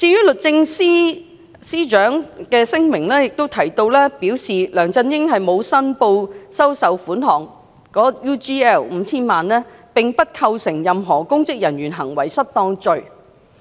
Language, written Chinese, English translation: Cantonese, 律政司司長的聲明提及梁振英沒有申報收受 UGL 5,000 萬元，並不構成任何公職人員行為失當罪。, It is mentioned in the Secretarys statement that LEUNG Chun - yings failure to declare his acceptance of 50 million from UGL does not constitute an offence of misconduct in public office MIPO